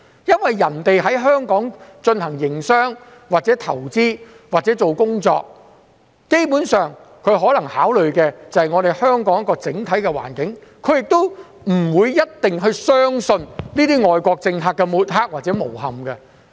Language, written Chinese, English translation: Cantonese, 因為，別人在香港進行營商、投資或工作，基本上，它們可能只是考慮香港的整體環境，亦不一定會相信外國政客的抹黑或誣衊。, It is because people doing business or making investment or working in Hong Kong will basically take into account Hong Kongs overall situation they may not believe the smearing or bad mouthing actions by foreign politicians